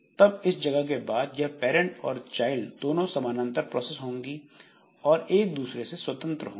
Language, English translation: Hindi, Then this after this point this parent and child they are two parallel processes and they are scheduled independently